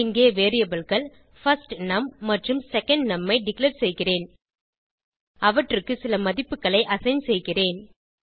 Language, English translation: Tamil, Here I am declaring two variables firstNum and secondNum and I am assigning some values to them